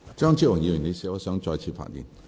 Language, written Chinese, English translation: Cantonese, 張超雄議員，你是否想再次發言？, Dr Fernando CHEUNG do you wish to speak again?